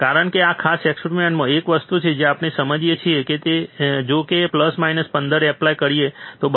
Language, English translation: Gujarati, Because one thing that we understood in this particular experiment is that if we apply plus minus 15, right